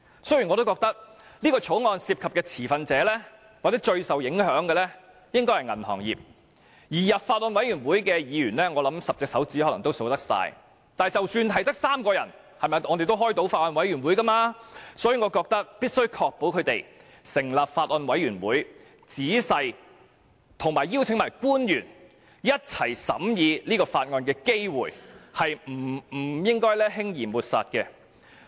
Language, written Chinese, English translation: Cantonese, 雖然我認為《條例草案》涉及的持份者或最受影響者應該是銀行業，而加入法案委員會的議員，我想將寥寥可數，但即使只有3名委員，也可以召開法案委員會，所以，我認為必須確保能夠成立法案委員會，以及邀請官員共同仔細審議法案的機會，是不應該輕易抹煞此機會的。, I think the stakeholders and the banking industry are parties most affected by the Bill and that only a few Members will join the Bills Committee yet even if there are only three Members on the Bills Committee a Bills Committee meeting may be held . Hence I think we must ensure that a Bills Committee will be set up and that there will be opportunities to invite public officers to examine the Bill with us together . We should not hastily discard this opportunity